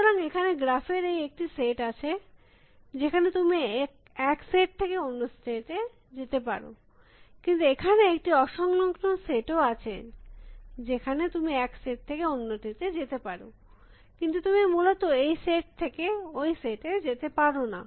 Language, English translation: Bengali, So, there is one graph, where you can navigate from one set of state to any other state, but there is a disjoint set, where you can also move from one set to another set, but you cannot go from this set to that set essentially